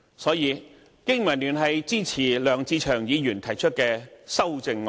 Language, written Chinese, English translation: Cantonese, 所以，經民聯支持梁志祥議員提出的修正案。, Therefore BPA supports Mr LEUNG Che - cheungs amendment